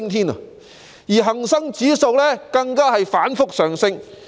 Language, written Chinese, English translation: Cantonese, 此外，恆生指數亦反覆上升。, In addition the Hang Seng Index has likewise kept rising